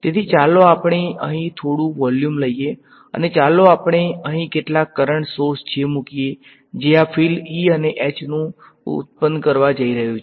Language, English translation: Gujarati, So, let us take some volume over here and let us put some current source over here J and this is going to produce a field E comma H